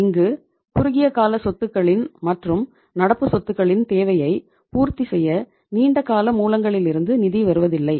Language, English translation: Tamil, Nothing is coming from the long term funds to fulfill the requirement of the short term assets of the current assets